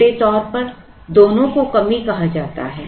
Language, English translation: Hindi, Very loosely both of them are called shortage